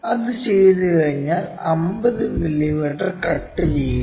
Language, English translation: Malayalam, Once done, make 50 mm cut